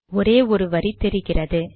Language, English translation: Tamil, It should have one line